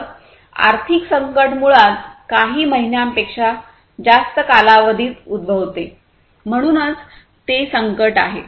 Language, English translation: Marathi, So, economic crisis basically takes place over a duration not more than a few months, so that is the crisis